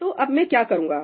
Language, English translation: Hindi, So, what do I do now